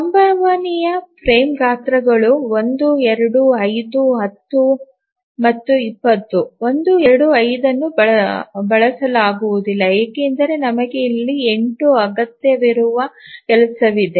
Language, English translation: Kannada, So, the possible frame sizes are 1, 2, 5, 10 and 20 and 1 to 5 cannot be used because we have a job here requiring 8